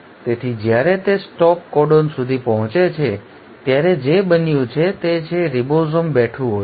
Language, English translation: Gujarati, So by the time it reaches the stop codon what has happened is, the ribosome is sitting